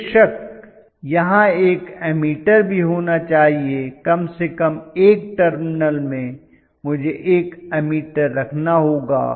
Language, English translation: Hindi, Of course I should have had ammeter here, at least in one of the terminal I should have put an ammeter